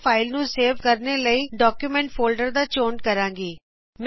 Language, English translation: Punjabi, I will select Document folder for saving the file